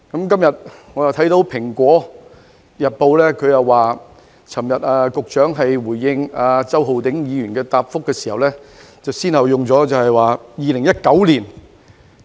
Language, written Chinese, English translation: Cantonese, 今天，我看到《蘋果日報》的報道，指局長昨天回應周浩鼎議員的質詢時用了......, Today I have read from Apple Daily that in response to Mr Holden CHOWs question yesterday the Secretary used the term Many government officials and members of the community have described the incidents in 2019 as black - clad mob unrest